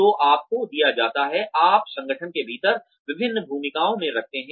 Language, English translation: Hindi, So you are given, you put in different roles, within the organization